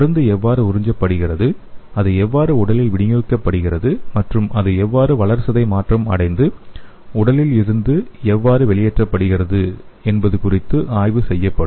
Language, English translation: Tamil, So how the drug will be absorbed, how it is distributed in the body and what is the metabolism and how it will be excreted from the body will be studied